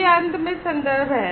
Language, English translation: Hindi, So, these are the references finally